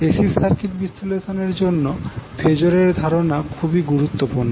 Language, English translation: Bengali, So the concept of phasor is very important in the case of AC circuit analysis